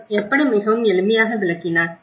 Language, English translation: Tamil, How he explained very simply